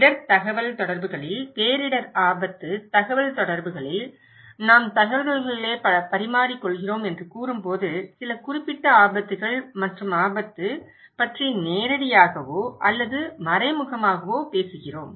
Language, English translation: Tamil, In risk communication, in disaster risk communications, when we say we are exchanging informations, we are directly or indirectly talking about some particular hazards and risk